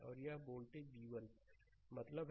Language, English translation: Hindi, Right and this voltage is v 1 means